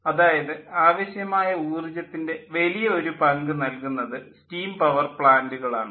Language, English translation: Malayalam, large amount of energy demand is supplied by steam power plant